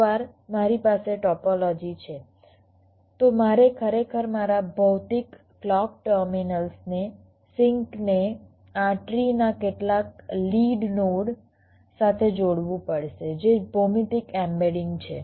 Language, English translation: Gujarati, ah, once i have the topology, i have to actually connect my physical clock terminals, the sinks, to some lead node of this tree, that is the geometrically embedding